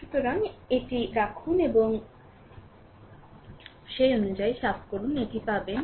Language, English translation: Bengali, So, you put it and let me clear it accordingly you will get this one